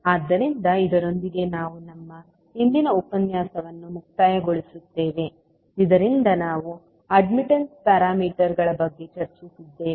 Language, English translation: Kannada, So with this we can close our today’s session in which we discussed about the admittance parameters